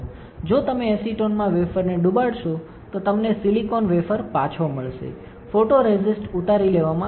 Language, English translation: Gujarati, If you dip the wafer in acetone, you will get silicon wafer back, photoresist will be stripped off